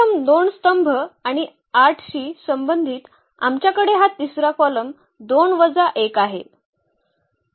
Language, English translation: Marathi, First two columns and the corresponding to 8; we have this 2 minus 1 as a third column